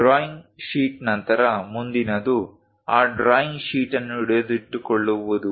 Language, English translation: Kannada, After the drawing sheet, the next one is to hold that is drawing sheet